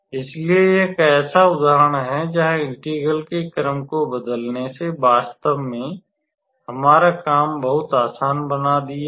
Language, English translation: Hindi, So, this is one such example where how to say changing the order of integration made our life a lot easier actually